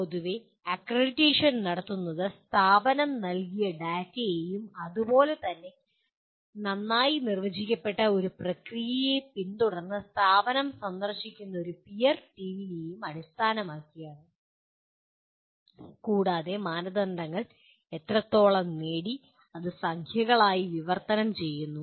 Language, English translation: Malayalam, And generally the accreditation is done by based on the data provided by the institution and as well as a peer team visiting the institution as following a very well, well defined process and to translate that into a series of numbers which state that to what extent the criteria have been attained